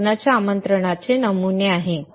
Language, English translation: Marathi, These are the patterns of a wedding invitation